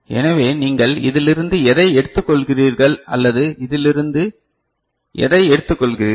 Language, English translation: Tamil, So, either you take from this to this or you take from this to this right